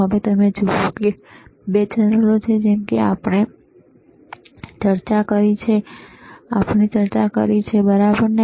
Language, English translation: Gujarati, Now you see there are 2 channels like we have discussed, right